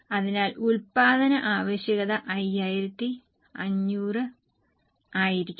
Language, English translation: Malayalam, So, production requirement will be 5,500